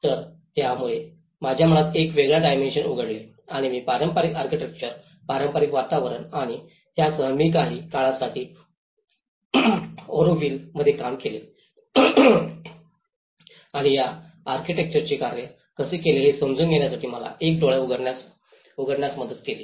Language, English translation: Marathi, So, it opened a different dimension in my mind and I started looking at understanding the traditional Architecture, traditional environments and with that, I worked in Auroville for some time and that has given me an eye opener for me to understand how the architects works with the communities